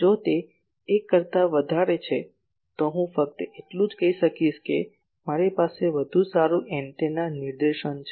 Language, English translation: Gujarati, If it is more than 1, then only I will be able to say that I have a better directed antenna ok